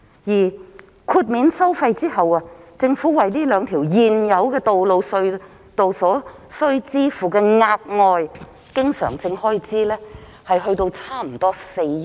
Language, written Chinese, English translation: Cantonese, 而豁免收費後，政府為這兩條現有的道路/隧道所須支付的額外經常開支估計約為每年4億元。, What is more after the toll waiver the Government will incur an additional recurrent expenditure of 400 million per annum for these two existing roadstunnels